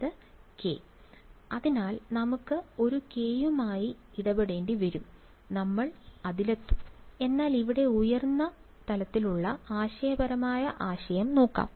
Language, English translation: Malayalam, k right, so we will have to deal with that k we will get to that, but let us just look at the high level conceptual idea here